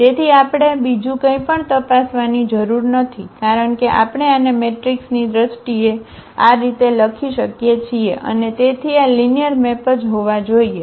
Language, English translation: Gujarati, So, we do not have to check anything else because we can write down this as this in terms of the matrix and therefore, this has to be a linear maps